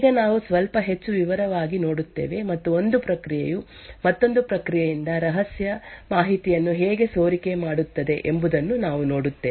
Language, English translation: Kannada, Now we will look a little more detail and we would see how one process can leak secret information from another process